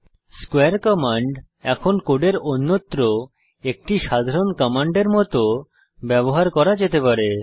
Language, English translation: Bengali, square command can now be used like a normal command in the rest of the code